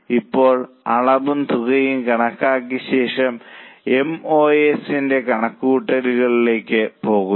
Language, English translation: Malayalam, Now having calculated quantity and amount, go for calculation of MOS